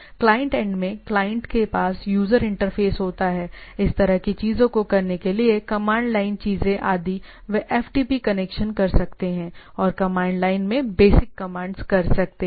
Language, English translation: Hindi, So, at the client end, client has a user interface to do that right, there are command line things also those who are accustomed can do FTP connection and do the commands at the basic at the at the command line